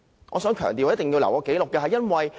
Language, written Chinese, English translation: Cantonese, 我要強調，我必須留下紀錄。, I must put on record what had happened